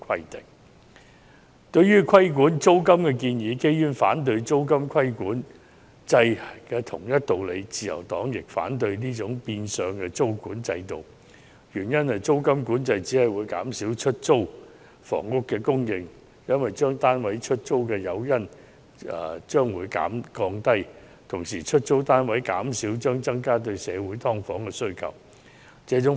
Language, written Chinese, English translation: Cantonese, 就原議案提出規管"劏房"租金的建議，基於反對租金管制的同一道理，自由黨亦反對這種變相的租管制度，原因是租金管制只會降低業主出租單位的誘因，減少出租單位的供應，進而令社會對"劏房"的需求更殷切。, Concerning the proposal for regulating the rent of subdivided units in the original motion as the Liberal Party opposes rent control by the same token it also opposes such a de facto tenancy control system for the reason that rent control will only reduce the incentive for landlords to rent out their units leading to a drop in the supply of rented accommodation which will in turn push up the demand for subdivided units in society